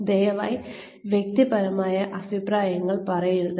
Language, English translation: Malayalam, Please do not make personal comments